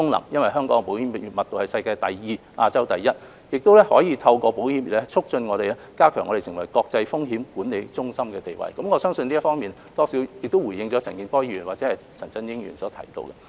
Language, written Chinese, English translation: Cantonese, 由於香港的保險密度是世界第二，亞洲第一，香港可以透過保險業，促進並加強我們成為國際風險管理中心的地位，我相信這方面或多或少回應了陳健波議員或陳振英議員所提出的關注。, Given that the insurance density of Hong Kong is Asias number one and worlds number two we can promote and enhance our status as an international risk management centre with the help of the insurance industry . I think this has more or less addressed the concerns of Mr CHAN Kin - por or Mr CHAN Chun - ying